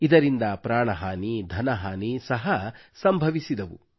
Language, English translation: Kannada, There was also loss of life and property